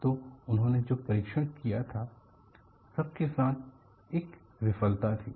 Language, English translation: Hindi, So, they had done the test; with all that, there was failure